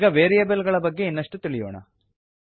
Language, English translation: Kannada, Now we will move on to variables